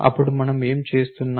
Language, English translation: Telugu, Then what are we doing